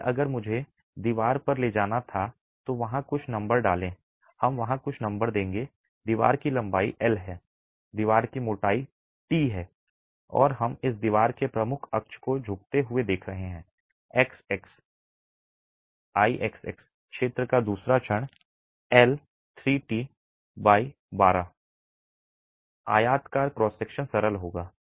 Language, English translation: Hindi, So, if I were to take the wall, put some numbers there, we'll put some numbers there, but the length of the wall is L, the thickness of the wall is T and we are looking at the major axis bending of this wall about X, X, I X, X, the second moment of area would work out to be L cube T by 12, rectangular cross section